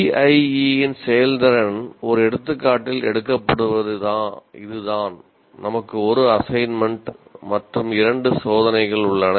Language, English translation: Tamil, So here this is how the performance of the in CIE is taken in one example as we have one assignment and two tests